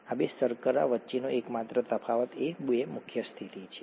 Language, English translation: Gujarati, The only difference between these two sugars is the two prime position